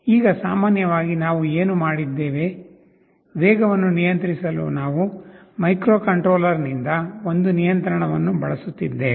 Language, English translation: Kannada, Now normally what we have done, we are using one control line from the microcontroller to control the speed